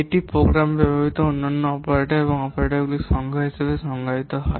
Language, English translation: Bengali, It is defined as the number of unique operators and operands used in the program